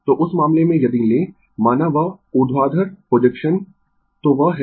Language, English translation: Hindi, So, in that case if you if you take suppose that vertical projection so, that is A B